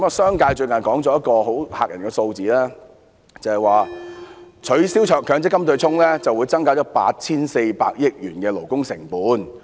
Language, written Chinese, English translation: Cantonese, 商界最近說了一個很嚇人的數字，就是取消強積金對沖，會增加 8,400 億元的勞工成本。, The business sector has recently presented a most scaring figure claiming that the abolition of the MPF offsetting arrangement will raise labour costs by 840 billion